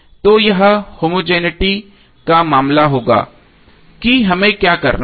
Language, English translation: Hindi, So this would be the case of homogeneity what we have to do